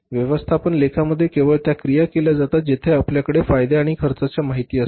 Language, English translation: Marathi, In the management accounting only those actions are taken where we have with thus the information about benefits and cost